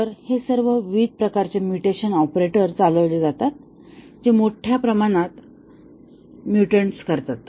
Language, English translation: Marathi, So, all these different types of mutation operators are carried out which generate a large number of mutants